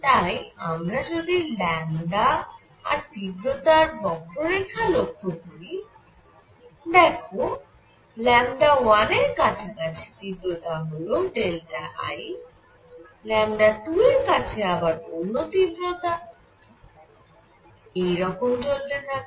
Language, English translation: Bengali, So, if I look at lambda verses intensity curve, there would be some intensity delta I near say lambda 1; some other intensity I near lambda 2 and so on